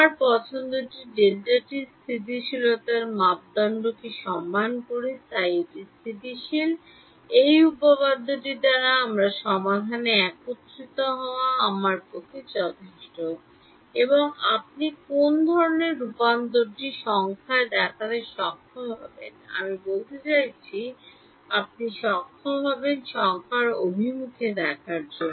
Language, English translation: Bengali, Look my choice of delta t respect the courant stability criteria therefore, it is stable, by this theorem it is good enough for me to have a convergence in my solution and what kind of convergence will you be able to show numerically I mean you will be able to show numerical convergence